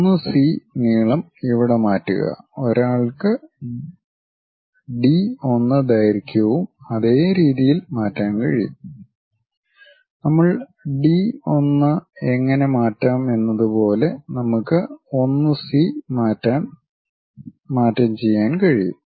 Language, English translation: Malayalam, Transfer 1 to C length here; one can transfer D 1 length also in the same way, the way how we transfer D 1 we can transfer it there all 1 C length we can transfer it